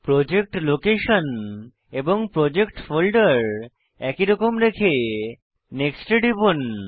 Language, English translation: Bengali, Leave the Project location and project folder as it is Then, Click on Next